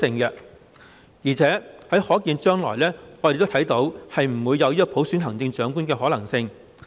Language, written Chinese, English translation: Cantonese, 而且我們亦看不到在可見的將來，有普選行政長官的可能性。, Besides we do not see any possibility of universal suffrage of the Chief Executive in future